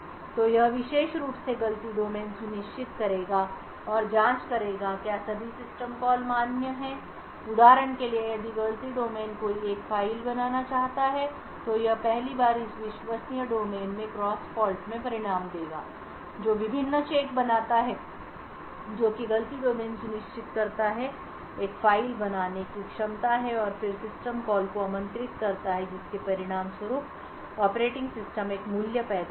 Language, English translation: Hindi, So this particular fault domain would ensure and check whether all system calls are valid so for example if fault domain one wants to create a file it would first result in a cross fault domain to this trusted a fault domain which makes various checks ensures that fault domain has the capability of creating a file and then invokes the system call that would result in the operating system creating a value